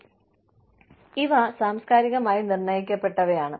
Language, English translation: Malayalam, And, these things are, culturally determined